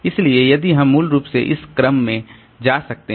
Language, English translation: Hindi, So if we, so basically I can go in this order